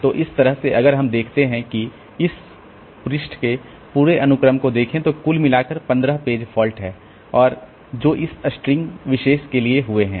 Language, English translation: Hindi, So, this way if we see that if the entire sequence of this page references then altogether there are 15 page faults that has occurred for this particular string